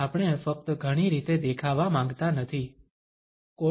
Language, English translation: Gujarati, We simply do not want to appear in many ways of (Refer Time: 17:10)